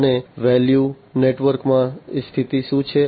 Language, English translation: Gujarati, And what is the position in the value network